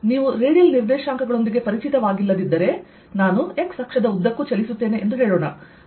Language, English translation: Kannada, if you are not comfortable with radial coordinates, let us say i move along the x axis